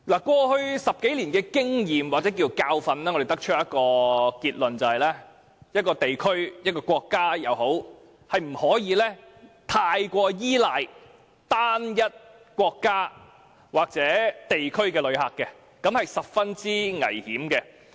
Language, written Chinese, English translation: Cantonese, 過去10數年的經驗，或可說是教訓，讓我們得出的結論是，一個地區、一個國家，是不可以過於依賴單一國家或地區的旅客來源，這是十分危險的。, From our experience gained or lessons learned in the past 10 - odd years we can draw the conclusion that a place or a country cannot over rely on one single visitor source . That is very dangerous